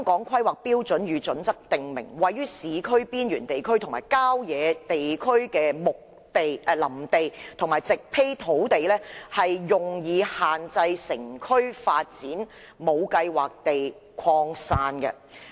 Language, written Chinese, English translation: Cantonese, 《規劃標準》訂明，綠化地帶"位於市區邊緣地區和郊野地區的林地和植被土地，用以限制城區發展無計劃地擴散"。, HKPSG states that the green belt area is [w]oodland and vegetated land at urban fringe areas and countryside to limit the sprawl of urban development